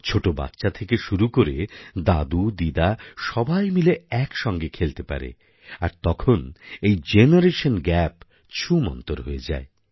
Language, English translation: Bengali, From tiny tots to GrandfatherGrandmother, when we all play these games together then the term 'Generation Gap' disappears on its own